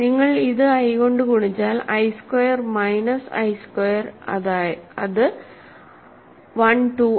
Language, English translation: Malayalam, You multiply this by i you get i squared minus i squared is 1 2 i